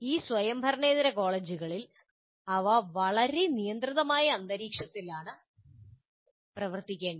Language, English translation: Malayalam, In this non autonomous college, they have to operate in a very constrained environment